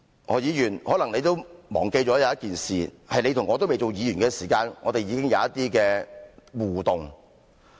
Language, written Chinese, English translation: Cantonese, 何議員，可能你忘記了一件事，在你和我未當議員的時候，我們已經有一些互動。, Dr HO perhaps you have forgotten one thing . You and I actually had some sort of interaction before we became legislators